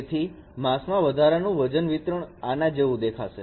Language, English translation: Gujarati, So the distribution of the weights in the mask will look like this